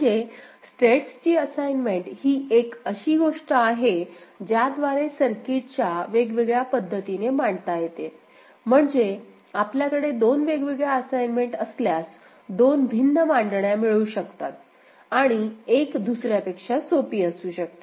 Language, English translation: Marathi, And assignments of states is something by which one can get to different realizations of the circuit ok, I mean if you have two different assignments, two different realizations and one may be simpler than the other ok